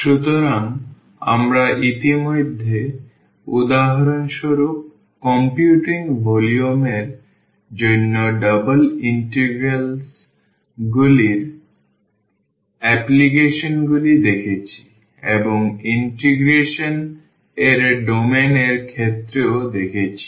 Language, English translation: Bengali, So, we have already seen the applications of double integrals for computing volume for example, and also the area of the domain of integration